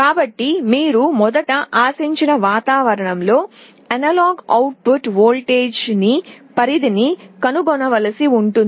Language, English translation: Telugu, So, you will have to first find out the range of analog output voltage in the expected environment